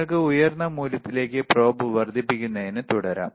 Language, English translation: Malayalam, And you can keep on increasing the this probe to higher values